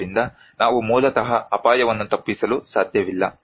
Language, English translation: Kannada, So, we cannot avoid hazard basically